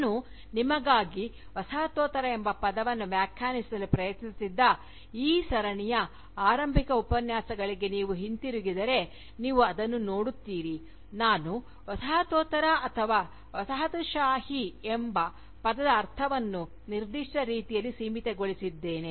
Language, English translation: Kannada, If you go back to the initial Lectures, in this series, where I was trying to define the term Postcolonialism for you, you will see that, I had limited the meaning of the term Postcolonialism, or rather the term Colonialism, in a particular way